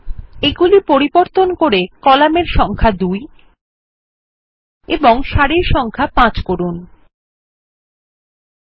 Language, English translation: Bengali, We will change the Number of columns to 2 and the Number of rows to 5